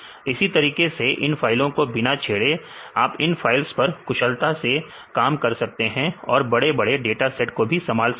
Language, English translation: Hindi, Likewise without editing these files, you can work on these files efficiently you can do and can handle large datasets